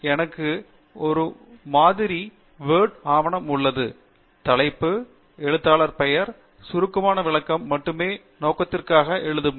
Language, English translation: Tamil, I have a sample Word document here; the title, an author name, and a brief write up only for illustration purpose